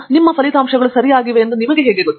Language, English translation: Kannada, How do you know that your results are right